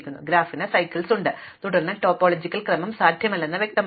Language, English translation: Malayalam, So, if the graph has cycles, then it is clear that there is no topological ordering possible